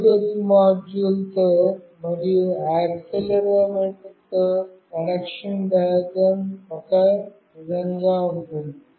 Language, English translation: Telugu, The connection diagram with Bluetooth module, and with accelerometer will be the same